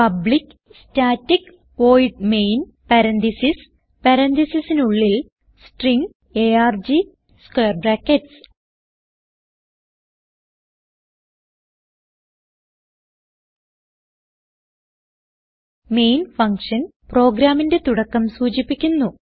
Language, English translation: Malayalam, So type: public static void main parentheses inside parentheses String arg Square brackets Main functions marks the starting point of the program